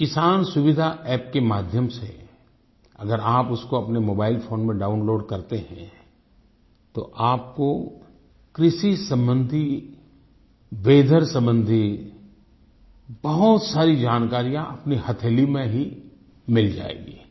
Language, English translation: Hindi, If you download this 'Kisan Suvidha App' on your mobile phone, you will receive a lot of information related to agriculture and weather at your fingertips